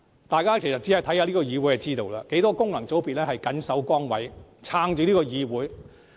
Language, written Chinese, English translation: Cantonese, 大家看看這個議會便會明白，很多功能界別議員都謹守崗位，支撐着整個議會。, By checking the proceedings in this Council the public will notice that many Members from functional constituencies are diligently fulfilling their duties and supporting the entire Council